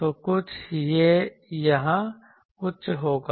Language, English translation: Hindi, So, something it will be high here